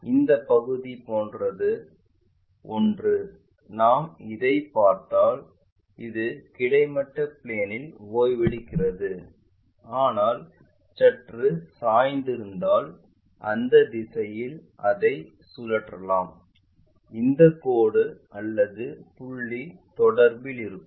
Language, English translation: Tamil, Something like this part if we are looking this is resting on horizontal plane, but if it is slightly inclined maybe rotate it in that direction only this line contact or point contact we have it